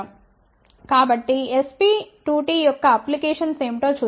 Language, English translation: Telugu, So, let us look at what are the applications of SP2T